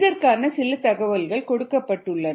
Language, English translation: Tamil, some information is given ah